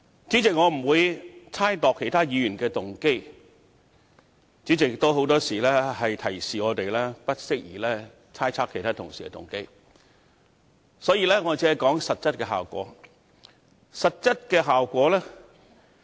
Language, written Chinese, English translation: Cantonese, 主席，我不會猜測其他議員的動機，主席也常提醒我們不宜猜測其他同事的動機，所以我只會說實質效果。, President I will not impute motives to other Members and as you President always remind us of the impropriety of imputing motives to other colleagues I will only talk about the practical results